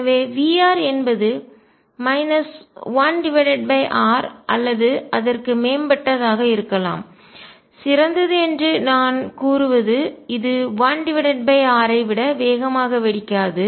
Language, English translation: Tamil, So, V r that goes as maybe minus 1 over r or better; better I mean it does not blow up faster than 1 over r